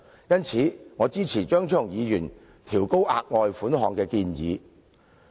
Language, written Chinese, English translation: Cantonese, 因此，我支持張超雄議員調高額外款項的建議。, Thus I support Dr Fernando CHEUNGs proposal to increase the amount of the further sum